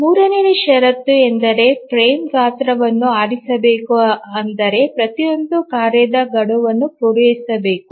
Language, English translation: Kannada, Now let's look at the third condition which says that the frame size should be chosen such that every task deadline must be met